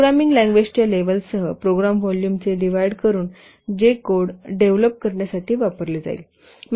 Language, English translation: Marathi, By dividing program volume with the level of the programming language which will be used to develop the code